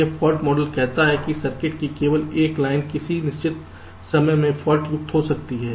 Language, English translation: Hindi, this fault model says that only one line of the circuit can be faulty at a given time